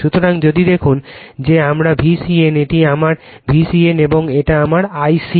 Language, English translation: Bengali, So, if you look into that that this is my V c n right this is my V c n and this is my I c